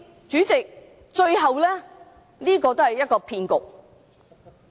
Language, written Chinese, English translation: Cantonese, 主席，這是一個騙局。, President this is a deception